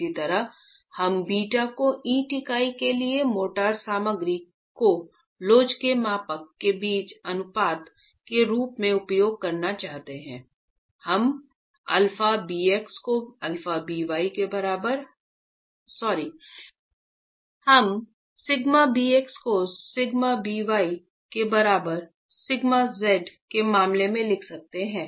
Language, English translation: Hindi, Similarly, if we were to use beta as the ratio between the model as elasticity of the motor material to the brick unit, we are writing down sigma bx is equal to sigma b y in terms of sigma z